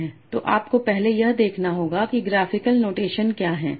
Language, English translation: Hindi, So once we have seen this so how do we graphical notation